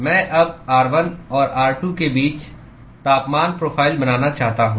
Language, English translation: Hindi, I want to now draw the temperature profile between r1 and r2